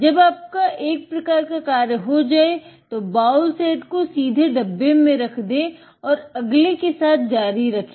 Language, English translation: Hindi, When you are done with one path just put it directly up into the bowl on the box and then continue with the next